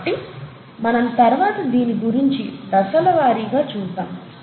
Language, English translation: Telugu, So we’ll come back to this and see it in a step by step fashion